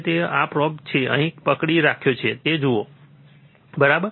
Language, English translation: Gujarati, So, you see this probe that is holding here, look at this probe, right